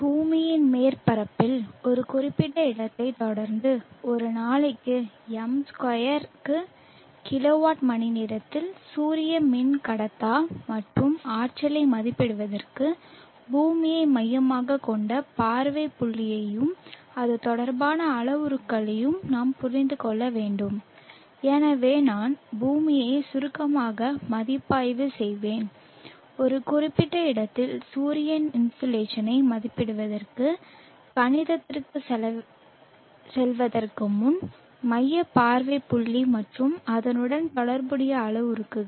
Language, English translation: Tamil, In order to estimate the solar insulation and the energy in kilo watt our per m2 per day following at a given locality on the earth surface we need to understand the earth centric view point and the parameters related to it and therefore I will briefly review the earth centric view point and its related parameters before going in to the max for estimation of the solar insulation at a given place